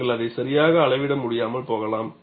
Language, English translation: Tamil, You may not be able to even measure it properly